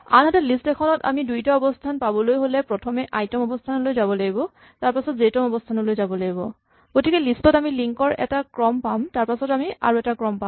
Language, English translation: Assamese, On the other hand in a list I have to first walk down to the ith position and then walk down to the jth position to get the two positions so I will have in a list I would have the sequence of links and then I would have another sequence of links